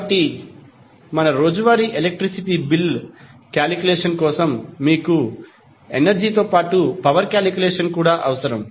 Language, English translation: Telugu, So, that is why for our day to day electricity bill calculation you need calculation of power as well as energy